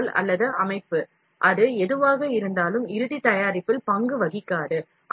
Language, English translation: Tamil, The supporting material or the structure, whatever it is, does not play a role in the final product